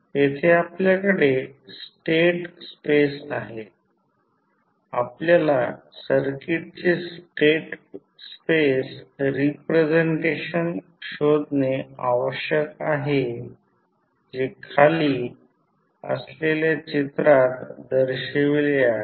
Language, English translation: Marathi, Here we have state space, we need to find the state space representations of the circuit which is shown in the figure below